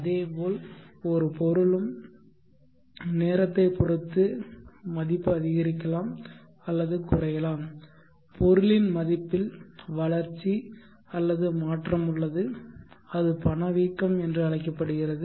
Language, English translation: Tamil, Likewise an item also with time its value then increase or decrease there is growth or change in the value of the item and it is called inflation